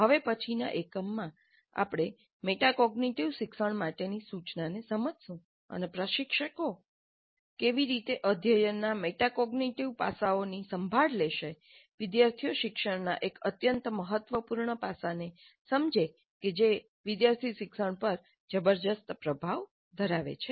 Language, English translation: Gujarati, And in the next unit, we'll understand instruction for metacognitive learning, an extremely important aspect of student learning, which has tremendous influence on student learning, and how do the instructors take care of the metacognitive aspects of learning